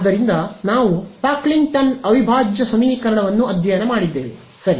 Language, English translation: Kannada, So, we have studied Pocklington integral equation right